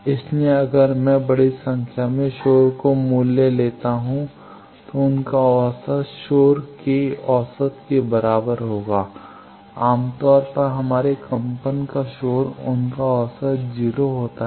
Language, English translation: Hindi, So, if I take large number of noise values their average will be equal to the mean of the noise generally our vibration noise they have 0 mean